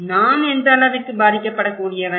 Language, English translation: Tamil, What extent I am vulnerable